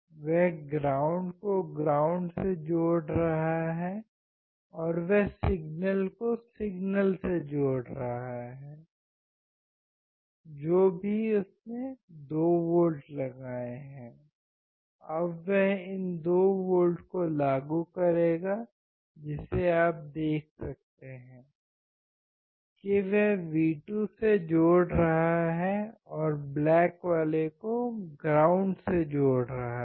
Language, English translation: Hindi, He is connecting the ground to ground and he is connecting the signal to signal, whatever he has applied 2 volts, now he will apply these 2 volts which you can see he is connecting to the V2 and black one to ground excellent